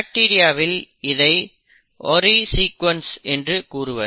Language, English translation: Tamil, In bacteria it is called as the Ori sequence